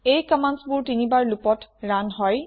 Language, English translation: Assamese, These commands are run 3 times in a loop